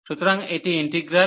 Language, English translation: Bengali, So, this is the integral